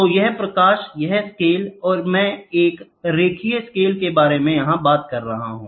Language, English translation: Hindi, So, this is light, this is scale, I am talking about a linear scale